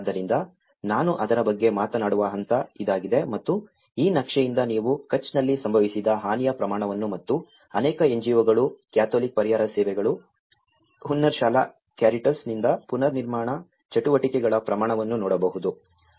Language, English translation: Kannada, So, this is the stage which I will be talking about it and from this map you can see the amount of damage which has occurred in the Kutch and the amount of reconstruction activities from many NGOs, Catholic Relief Services, Hunnarshala, Caritas